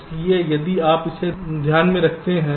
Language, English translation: Hindi, so if you take this into account, so i